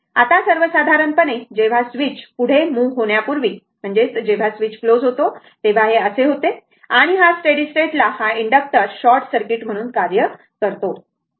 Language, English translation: Marathi, Now, your in general when the switch before moving further, when the switch is closed it will be like this and at steady state, this inductor acts as a short circuit, right